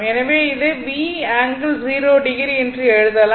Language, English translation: Tamil, So, this can be written as V angle theta